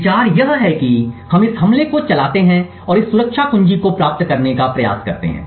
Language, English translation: Hindi, The idea is that we run this attack and try to get this security key